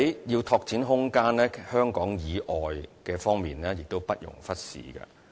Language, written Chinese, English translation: Cantonese, 要拓展空間，香港以外的地方亦不容忽視。, When seeking to create room we should not neglect places other than Hong Kong itself